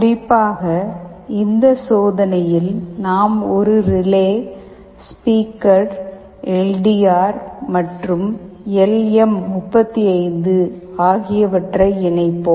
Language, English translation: Tamil, Specifically in this experiment we will be interfacing a relay, a speaker, a LDR and LM35